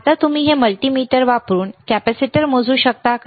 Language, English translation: Marathi, Now can you measure the capacitor using the this multimeter